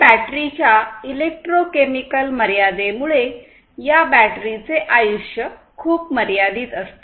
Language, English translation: Marathi, And due to the electrochemical limitation of the batteries; so, what happens is these batteries will have a very limited lifetime